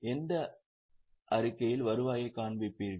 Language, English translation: Tamil, In which statement will you show the revenue